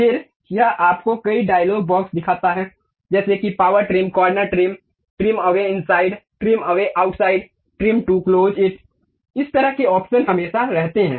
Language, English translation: Hindi, Then it shows you many dialog boxes something like there is power trim, corner trim, trim away inside, trim away outside, trim to close it, this kind of options always be there